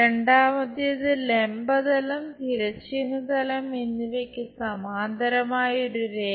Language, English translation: Malayalam, Second one; a line parallel to both vertical plane and horizontal plane